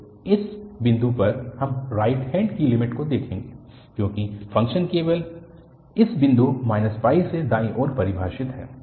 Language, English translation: Hindi, So, at this point, we will look at the right hand limit because the function is defined only towards the right from this point minus pi